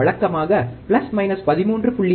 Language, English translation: Tamil, Usually about plus minus 13